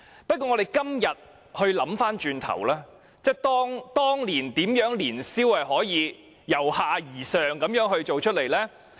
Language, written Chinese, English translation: Cantonese, 不過，我們今天回想，當年年宵市場是如何由下而上辦成的呢？, Let us think about how the Lunar New Year Fairs are held in a bottom - up manner?